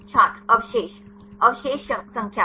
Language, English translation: Hindi, Residue Residue number